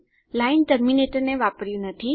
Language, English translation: Gujarati, Didnt use the line terminator